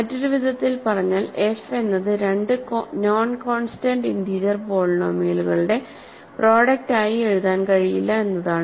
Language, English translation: Malayalam, In other words, what I am saying is that f cannot be written as, f cannot be written as a product of two non constant integer polynomials